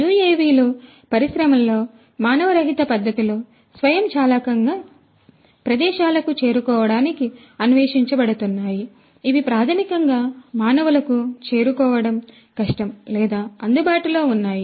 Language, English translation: Telugu, UAVs are being explored in the industry to autonomously in an unmanned manner to reach out to places, which are basically difficult to be reached or accessible by humans